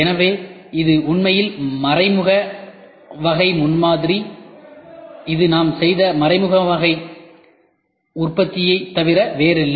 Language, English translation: Tamil, So, that is nothing, but indirect type prototyping in fact, it is nothing but indirect type manufacturing itself we did